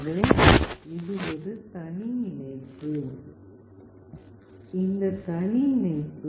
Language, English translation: Tamil, So, this is a separate connection, this is a separate connection